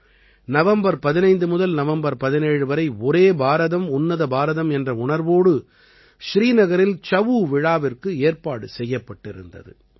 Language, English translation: Tamil, 'Chhau' festival was organized in Srinagar from 15 to 17 November with the spirit of 'Ek Bharat Shreshtha Bharat'